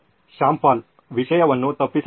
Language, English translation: Kannada, Shyam Paul: Content is missed